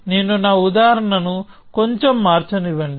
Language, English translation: Telugu, So, let me change my example a little bit